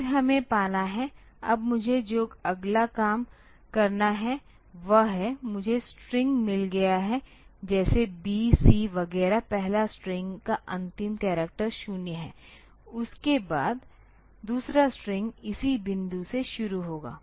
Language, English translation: Hindi, Then we have to get; now what the next job that I have to do is the; say I have got the string like this a b c etcetera the last character of the first string is 0 and after that the second string will start from this point onward